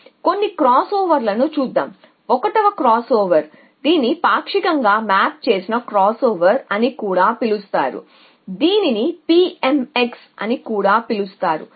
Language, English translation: Telugu, So, let us look at some cross over’s so 1 cross over which is called partially mapped crossover also call PMX workers follows